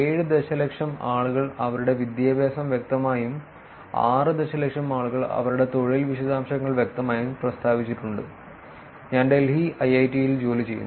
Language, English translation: Malayalam, Which is 7 million people have explicitly stated their education and about 6 million people have explicitly stated their employment details which is I work at IIIT Delhi